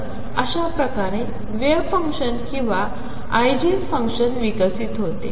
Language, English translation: Marathi, So, this is how wave function or an Eigen function evolves